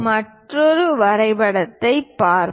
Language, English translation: Tamil, Let us look at other drawing